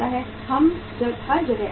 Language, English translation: Hindi, Everywhere it happens